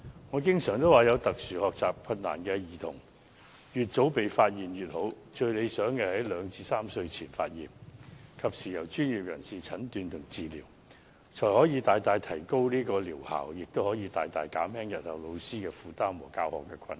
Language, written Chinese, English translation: Cantonese, 我經常說，有特殊學習困難的兒童越早被發現越好，最理想的時間是2至3歲前，然後及時由專業人士診斷和治療，這樣不但可以大大提高療效，亦可大大減輕日後老師的負擔和教學困難。, I often say that the sooner a child with special education needs is identified the better it is . The best time for diagnosis is between 2 and 3 years of age and then followed by professional treatment in a timely manner . This will not only enhance the curative effect greatly but also reduce the burdens of teachers and teaching difficulties in future significantly